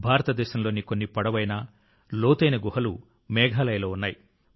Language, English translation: Telugu, Some of the longest and deepest caves in India are present in Meghalaya